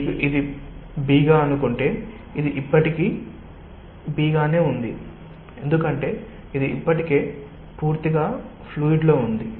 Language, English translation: Telugu, if you have this a, b, this still remains as b because it is already totally within the fluid